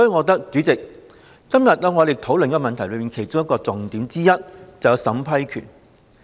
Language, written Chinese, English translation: Cantonese, 代理主席，我認為今天討論這項議案的重點之一，便是審批權。, Deputy President one of the focuses of this motion under discussion today is the vetting and approving power